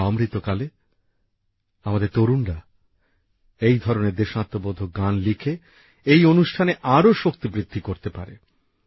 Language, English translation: Bengali, Now in this Amrit kaal, our young people can instill this event with energy by writing such patriotic songs